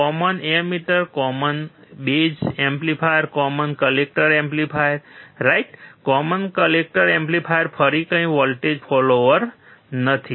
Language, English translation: Gujarati, Common emitter amplifier, common base amplifier, common collector amplifier, right, Common collector amplifier is nothing but voltage follower again